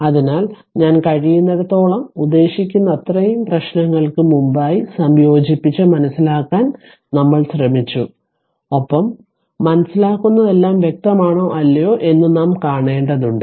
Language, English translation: Malayalam, So, as many as I mean as much as possible we have tried to incorporate prior to the problems and understand and we have to see that whether everything in understanding is clear or not